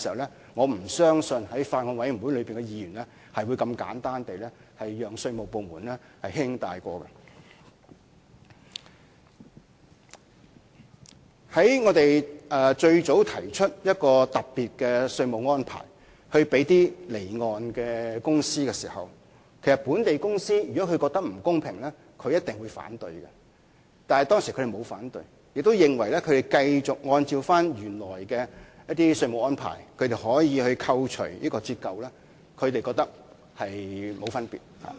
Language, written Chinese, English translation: Cantonese, 在我們最初提出為從事離岸飛機租賃活動的公司而設的特別稅務安排時，如從事境內飛機租賃活動的公司覺得不公平，一定會提出反對，但當時它們沒有反對，亦認為繼續按照原來的稅務安排，可以扣除折舊免稅額，並沒有分別。, When we first introduced the taxation arrangement for companies engaged in offshore aircraft leasing activities if companies engaged in onshore aircraft leasing activities found it unfair they would have surely raised their opposition but they did not voice any opposition back then . Instead they thought that it did not make any difference to them as they could continue to obtain depreciation allowance according to the original tax regime